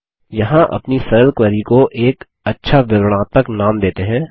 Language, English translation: Hindi, Here let us give a nice descriptive name to our simple query